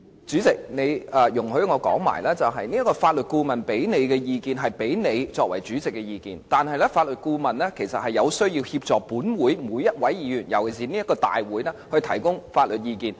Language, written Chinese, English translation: Cantonese, 主席，容許我把話說完，法律顧問向你提供的意見，是給你作為主席的意見，但法律顧問有需要協助每一位議員，尤其是就立法會會議提供法律意見。, President please allow me to finish my words . The advice given to you by the Legal Adviser was the opinion provided to you as the President but the Legal Adviser is also obliged to provide assistance to each and every Member especially to provide legal advice for meetings of the Legislative Council